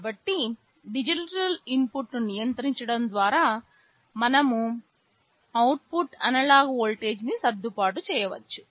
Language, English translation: Telugu, So, by controlling the digital input we can adjust the output analog voltage